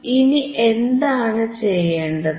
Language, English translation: Malayalam, So, and now what I will do